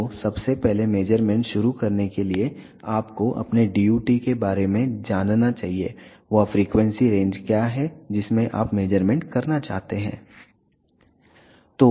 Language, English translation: Hindi, So, to a start the measurement firstly, you should be knowing about your DUT, what is the frequency range in which you want to do the measurement